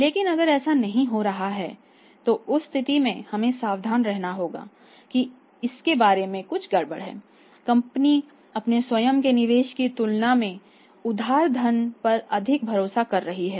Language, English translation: Hindi, But if that is not happening in that case we have to be careful that something is fishy about it more investment the companies seeking in the firm of the borrowed funds their own investment is very limited